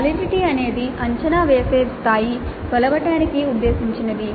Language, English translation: Telugu, Validity is the degree to which the assessment measures what it purports to measure